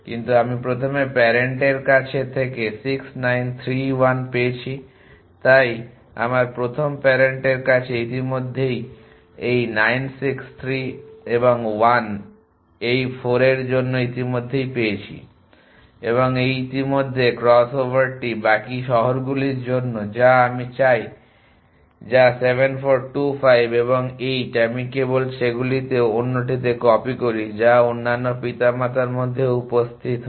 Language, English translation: Bengali, But I got 6 9 3 1 from the first parent so in my first parent I already have for this 9 6 3 and 1 this 4 I already got and what this already crossover is that for the remaining cities which I want which is 7 4 2 5 and 8 I simply copy them in the other in which appear in the other parents